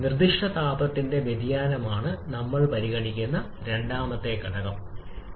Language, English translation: Malayalam, Then the second factor that we consider is the variation of specific heat temperature